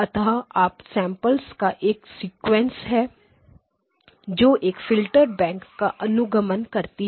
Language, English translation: Hindi, Basically there is a sequence of up samplers followed by a bank of filters